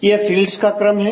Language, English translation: Hindi, It is a sequence of fields